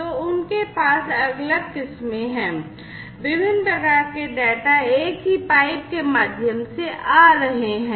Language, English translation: Hindi, So, they have different varieties its basically you know different types of data coming through a single pipe